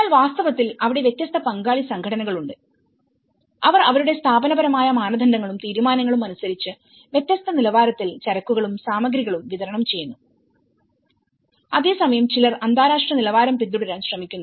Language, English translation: Malayalam, But in reality, there are different partner organizations, which has distributed the goods and materials with different standards, as per their institutional standards and decisions, while some try to follow the international standards